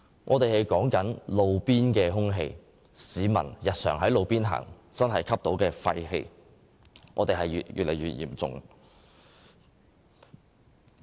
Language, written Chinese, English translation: Cantonese, 我們現在所談論的是路邊空氣質素，市民日常在路邊行走時吸入廢氣的情況越來越嚴重。, We are now talking about roadside air quality . People are now facing an increasingly serious problem of inhaling exhaust gas when walking at the roadside in daily life